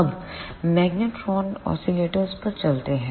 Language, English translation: Hindi, Now, move on to the magnetron oscillators